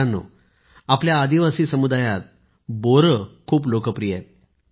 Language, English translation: Marathi, Friends, in our tribal communities, Ber fruit has always been very popular